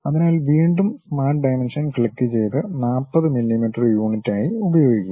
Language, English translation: Malayalam, So, again click the Smart Dimensions and use it to be 40 units like millimeters ok